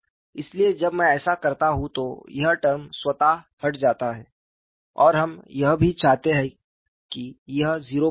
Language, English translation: Hindi, So, when I do this, this term automatically get knocked off and we also want to have this should go to 0